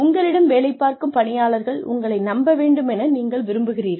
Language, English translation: Tamil, You want your employees to trust you